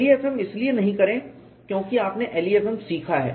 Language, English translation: Hindi, Do not do LEFM because you have learnt LEFM